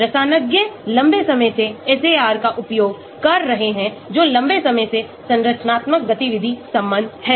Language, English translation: Hindi, Chemists have been using SAR for a long time that is structure activity relationship for a long time